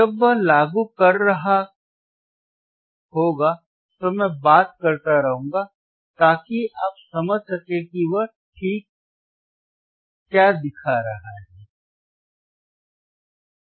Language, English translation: Hindi, and wWhile he is implementing, I will keep talking, so that you understand what exactly he is showing ok